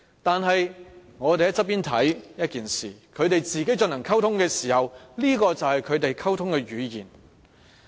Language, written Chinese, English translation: Cantonese, 但是，我們旁觀是一回事，他們進行溝通時，這便是他們溝通的語言。, However being a bystander is one thing communicating with them is another because this is their language for communication